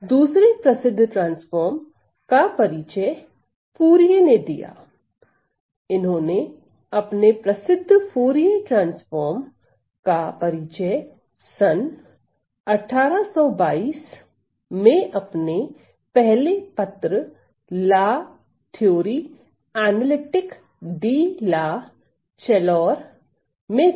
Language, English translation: Hindi, Then again another famous transform that was introduced was by Fourier, who introduced his famous Fourier transform in his first paper in 1822 again by the name of La Theorie Analytique De La Chaleur